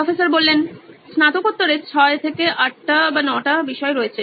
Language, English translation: Bengali, Postgraduates has 6 to 8, 9 subjects